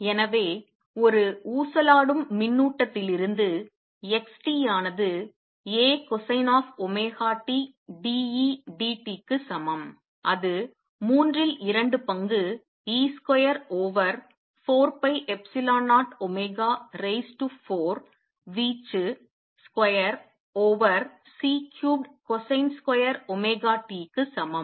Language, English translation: Tamil, So, we have from an oscillating charge x t equals A cosine of omega t d E d t is equal to 2 thirds e square over 4 pi epsilon 0 omega raise to 4 amplitude square over C cubed cosine square omega t